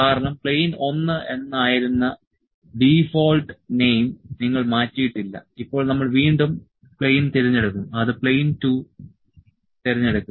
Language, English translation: Malayalam, Because, you did not change the name the default name was plane 1, now we will select the plane again it is select plane 2